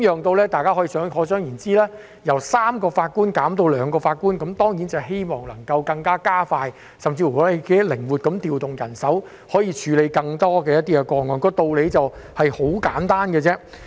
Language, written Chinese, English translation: Cantonese, 大家可以想象，由3名法官減至兩名法官，當然希望能夠加快處理，甚至是更靈活地調動人手以處理更多個案，道理是十分簡單的。, We can imagine that when the number of judges on the bench is reduced from three to two the process is expected to speed up and more cases can be handled with the flexible deployment of manpower . This is a very simple truth